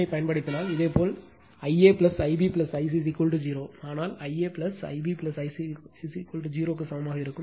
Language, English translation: Tamil, If you apply KCL, it will be I L plus I b plus I c plus I L is equal to I L right